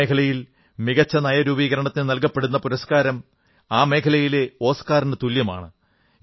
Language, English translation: Malayalam, You will be delighted to know that this best policy making award is equivalent to an Oscar in the sector